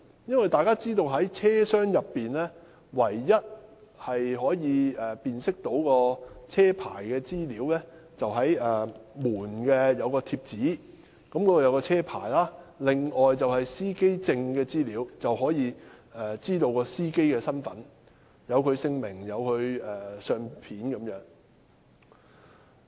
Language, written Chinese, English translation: Cantonese, 大家都知道，車內唯一可供辨識車牌的資料，是車門上載有車牌號碼的貼紙；乘客如要知悉司機的身份，則須靠載有司機姓名及相片的司機證。, As we all know the only place in a vehicle where we can learn about the vehicle registration mark VRM is the label bearing VRM affixed to the door . To identify a driver a passenger has to rely on the driver identity plate which bears the name and photo of the driver